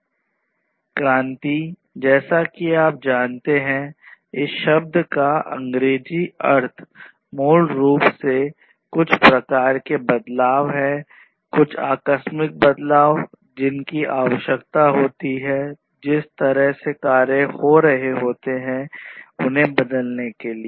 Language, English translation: Hindi, So, revolution, as you know, that English meaning of this term is basically some kind of shift some abrupt change that is required in order to transform the way things have been happening to something which is completely different